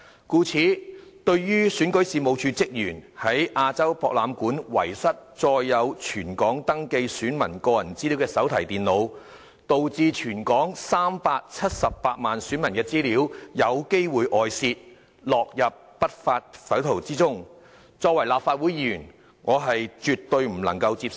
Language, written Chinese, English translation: Cantonese, 故此，對於選舉事務處職員在亞洲博覽館遺失載有全港登記選民個人資料的手提電腦，導致全港378萬選民的資料有機會外泄，落入不法匪徒手中，身為立法會議員，我絕對不能接受。, Therefore as a legislator I totally cannot accept that staff members of the Registration and Electoral Office REO have lost the notebook computers containing personal data of all registered electors in Hong Kong at the AsiaWorld - Expo which may possibly lead to a leakage of personal data of all 3.78 million electors in the territory to the lawless people